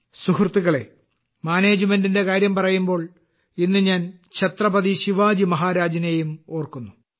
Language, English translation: Malayalam, Friends, when it comes to management, I will also remember Chhatrapati Shivaji Maharaj today